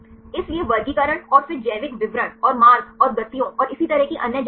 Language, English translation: Hindi, So, the classifications and then biological details and other information regarding the pathways and motions and so on